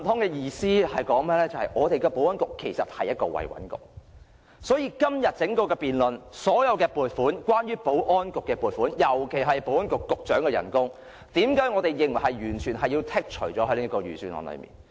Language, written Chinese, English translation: Cantonese, 這意味着香港的保安局其實是"維穩局"，所以在今天整項的辯論中，所有關於保安局的撥款，尤其是保安局局長的薪酬，為何我們認為要在財政預算案裏完全剔除？, This means that the Security Bureau of Hong Kong is actually a stability maintenance bureau . That is why in todays debate we propose that the sums related to the Security Bureau be completely deleted from the Budget in particular the salary of the Secretary for Security